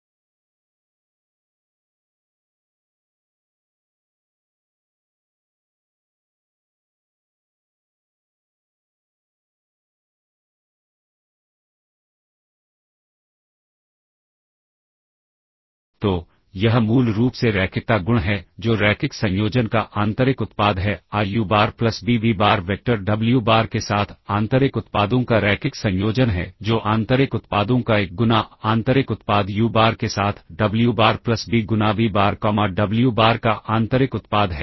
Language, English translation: Hindi, So, this basically is the linearity property that is a linear, the inner product of the linear combination a uBar plus b vBar with the vector, wBar is the linear combination of the inner products a times the inner product uBar wBar plus b times the inner product of vBar comma wBar